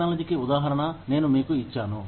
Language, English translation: Telugu, I have given you, the example of technology